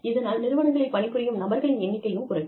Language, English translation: Tamil, And, the number of people employed in organizations is coming down